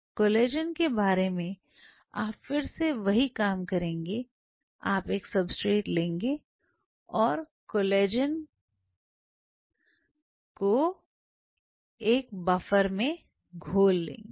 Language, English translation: Hindi, Now let us talk about Collagen in the case of collagen again you are doing the same thing you take a substrate and you have a collagen protein dissolve in a buffer